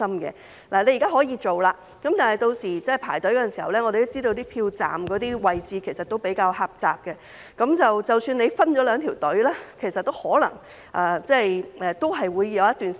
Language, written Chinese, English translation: Cantonese, 現時可以這樣做，但我們也知道，有些投票站的位置比較狹窄，屆時即使分了兩條隊伍，也可能要輪候一段時間。, Now this can be done but we know that some polling stations have relatively narrow space . Even if there are two separate queues people may still need to wait for a period of time